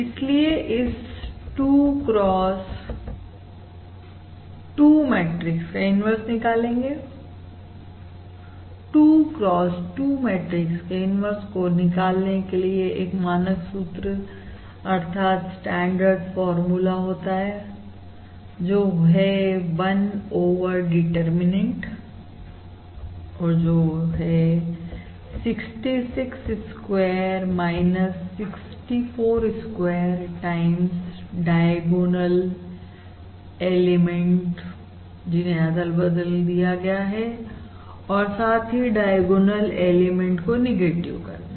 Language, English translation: Hindi, Therefore, the inverse of this 2 cross 2 matrix, the inverse of a 2 cross 2 matrix, has a standard formula that is 1 over the determinant, which is basically 66 square minus 64 square times interchange the diagonal elements and negatives of the off diagonal elements